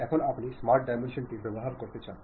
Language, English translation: Bengali, Now, you want to use smart dimension